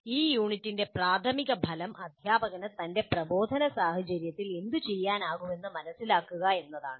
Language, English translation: Malayalam, So the major outcome of this unit is understand what the teacher can do in his instructional situation